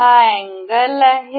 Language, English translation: Marathi, This is angle